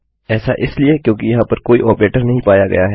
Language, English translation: Hindi, This is because, there is no operator to be found here